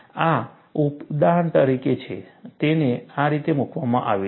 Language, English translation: Gujarati, This is, for illustration, it is put like this